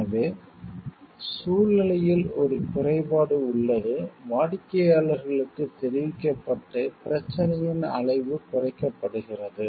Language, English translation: Tamil, So, the our situation there is a flaw customers are informed and the magnitude of the problem is minimized